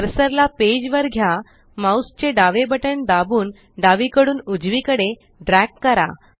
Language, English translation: Marathi, Move the cursor to the page, press the left mouse button and drag from left to right